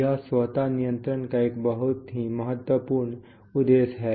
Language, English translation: Hindi, That is a very important objective of automatic control